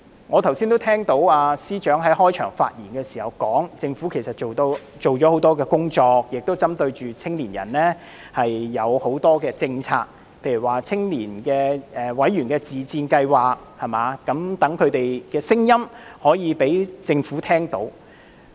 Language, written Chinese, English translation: Cantonese, 我剛才聽到司長在開場發言時說政府做了很多工作，亦針對年青人推行很多政策，例如青年委員自薦計劃，使他們的聲音可以讓政府聽到。, I heard the Chief Secretary say in his opening remarks that the Government has done a lot of work and implemented many policies targeting young people such as the Member Self - recommendation Scheme for Youth so that their voice can be heard by the Government